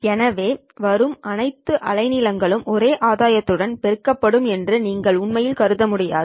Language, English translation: Tamil, So you can't really assume that all the wavelengths that are coming in will be amplified with the same gain